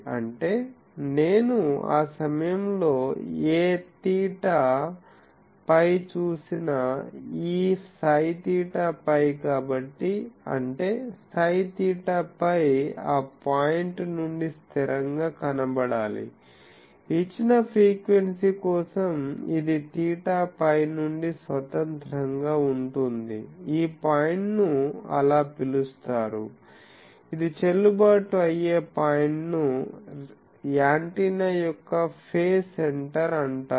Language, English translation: Telugu, That means, whatever theta phi I look at that point, this psi theta phi so; that means, psi theta phi should appear to be a constant from that point, for a given frequency this is independent of theta phi this point is called the so, the point at which this is valid that is called the phase center of the antenna